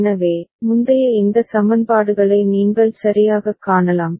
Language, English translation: Tamil, So, you can see that earlier these equations right